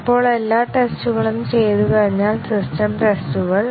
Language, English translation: Malayalam, Now, once all the tests have been done, the system tests